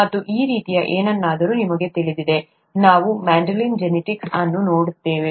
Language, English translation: Kannada, And something like this, you know, we will be looking at Mendelian genetics